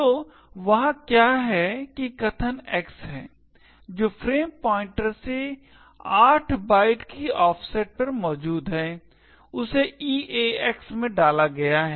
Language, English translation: Hindi, So, what is there is that the argument X which is present at an offset of 8 bytes from the frame pointer is loaded into EAX